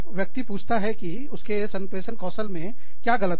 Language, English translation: Hindi, Person says, what is wrong with my communication skills